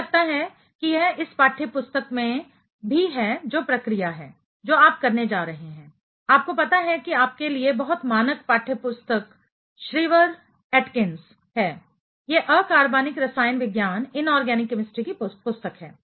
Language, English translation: Hindi, It is the procedure I think it is also in this textbook which is going to be done you know very standard textbook for you is Shriver Atkins, this inorganic chemistry book